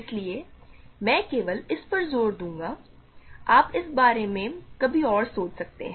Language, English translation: Hindi, So, I will only assert this you can think about this some other time